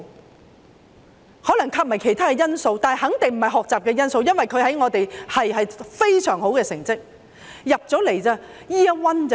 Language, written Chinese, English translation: Cantonese, 或許還有其他因素，但肯定不是學習因素，因為他在學系內的成績十分優秀。, There may be other reasons yet study is definitely not one of the reasons for his performance was outstanding in school